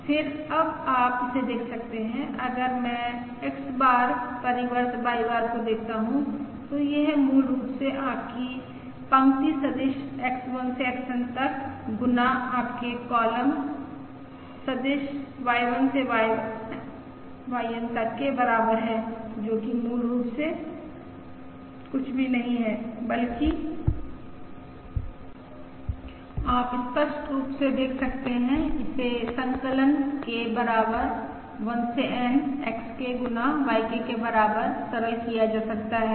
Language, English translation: Hindi, similarly, if I look at the denominator, consider now X bar, transpose X bar, that is equal to the row vector X1 up to XN times the column vector Y1, sorry, times the column vector X1 up to XN, and this is nothing but summation K equals to 1 to N X square K